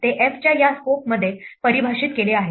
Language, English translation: Marathi, They are defined within this scope of f